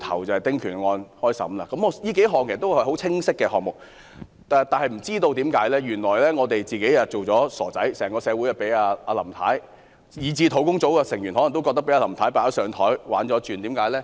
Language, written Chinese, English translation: Cantonese, 這些都是很清晰的選項，但原來我們一直被當作傻子，整個社會以至專責小組成員可能都覺得被林太"擺上檯"戲弄了。, All these are very clear options but it turns out that we have been treated as fools . Members of the public and even members of the Task Force may realize that they have been put on the spot and fooled by Mrs LAM